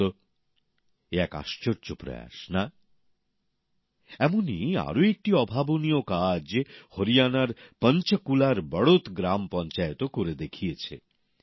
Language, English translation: Bengali, A similar amazing feat has been achieved by the Badaut village Panchayat of Panchkula in Haryana